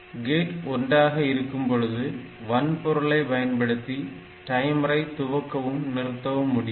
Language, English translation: Tamil, Now if gate is equal to 1 we can use the hardware to control the start and stop of the timers as well